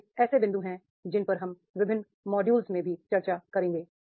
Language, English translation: Hindi, These these these are the points which we will be discussing in the different models also